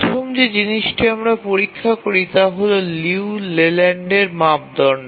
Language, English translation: Bengali, The first thing we check is the Liu Leyland criterion